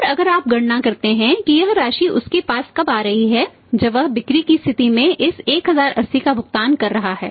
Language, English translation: Hindi, And if you calculate this amount is coming to him when he is paying this 1080 at the point of sales